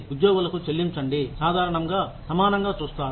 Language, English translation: Telugu, Pay that, employees, generally view as equitable